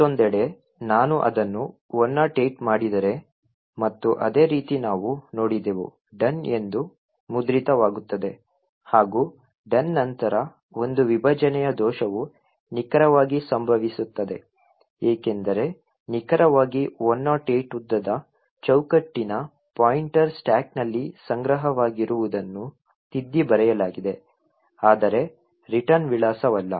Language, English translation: Kannada, On the other hand, if I make it 108 and the exactly the same thing we see that the done gets printed as well as after done there is a segmentation fault this occurs precisely because with a length of exactly 108 the frame pointer which is stored on the stack is overwritten but not the return address